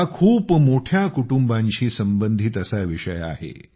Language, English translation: Marathi, This is a topic related to very big families